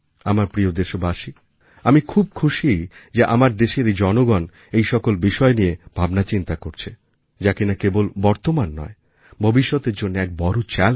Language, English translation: Bengali, My dear countrymen, I am happy that the people of our country are thinking about issues, which are posing a challenge not only at the present but also the future